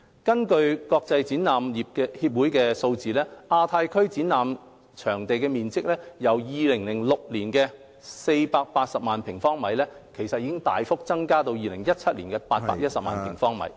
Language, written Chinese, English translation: Cantonese, 根據國際展覽業協會的數字，亞太區展覽場地面積，由2006年的480萬平方米，大幅增加至2017年810萬平方米......, According to the figures of the Global Association of the Exhibition Industry the exhibition space in the Asia - Pacific Region significantly increased from 4.8 million sq m in 2006 to 8.1 million sq m in 2017